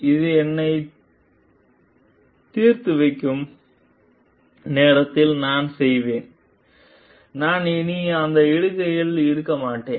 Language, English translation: Tamil, I would do by the time this will get me resolved; I will no longer be in that post